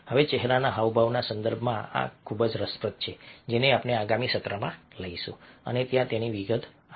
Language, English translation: Gujarati, now, this is very interestingly in the context of facial expressions, which we will take up in the next session and detail it out over there